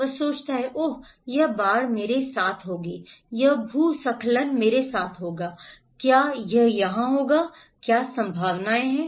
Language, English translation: Hindi, He would think, Oh this flood will happen to me, this landslide will happen to me, will it happen here, what is the probability